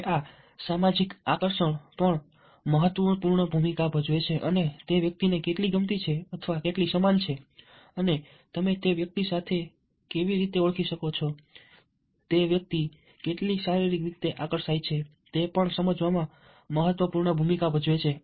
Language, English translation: Gujarati, and social attractiveness: how likable is that person, how similar how, how you are able to identify with that person, how physically attractive that person is